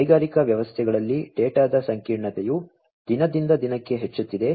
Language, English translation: Kannada, The complexity of data in industrial systems is increasing day by day